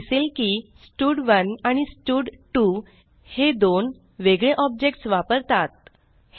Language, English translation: Marathi, We can see that here stud1 and stud2 refers to two different objects